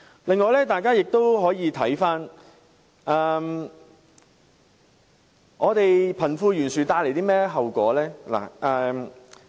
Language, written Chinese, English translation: Cantonese, 此外，大家也可以看看貧富懸殊會帶來甚麼後果。, We can also take a look at the consequences that would be brought forth by the wide wealth gap